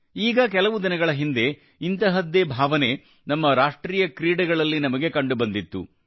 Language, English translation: Kannada, A few days ago, the same sentiment has been seen during our National Games as well